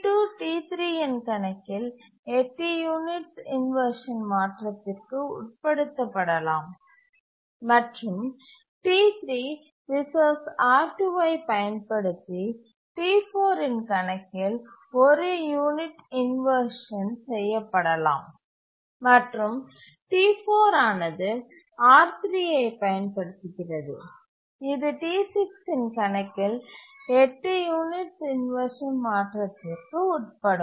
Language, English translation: Tamil, T2 can undergo inversion of 8 units on account of T3 and T3 can undergo inversion of one unit on accounts of T4 using the resource R2 and T4 can undergo inversion on account of T6 using the resource R3